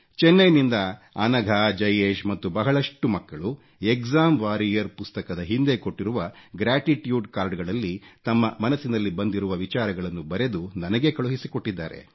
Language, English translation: Kannada, Anagha, Jayesh and many other children from Chennai have written & posted to me their heartfelt thoughts on the gratitude cards, the post script to the book 'Exam Warriors'